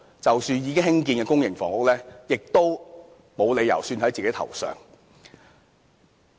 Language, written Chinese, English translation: Cantonese, 其實，已經興建的公營房屋單位，他是沒有理由算在自己頭上的。, In fact there is no reason that he could take the public housing units already constructed as his own achievement